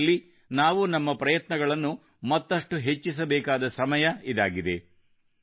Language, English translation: Kannada, Now is the time to increase our efforts in this direction